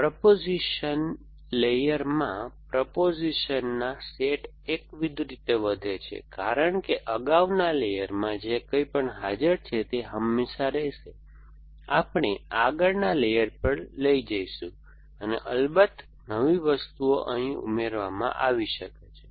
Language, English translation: Gujarati, The sets of propositions in the proposition layer is going to grow monotonically because whatever is present in previous layer will always, we carried forward to the next layer plus of course new things may be added essentially